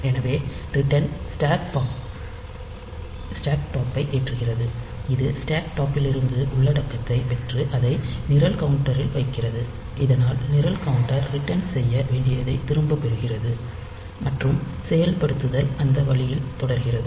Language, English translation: Tamil, So, ret is loading the stack top, it is getting the content from the stack top and putting it into the program counter, so that the program counter gets back the point to which it should return and execution continues that way